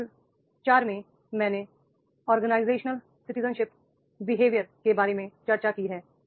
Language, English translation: Hindi, In the model 4 I have discussed about the OCB organizational citizenship behavior